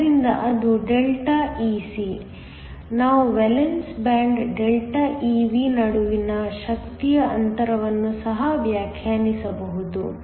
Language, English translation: Kannada, So that is Δ Ec, we can also define an energy gap between the valence band Δ Ev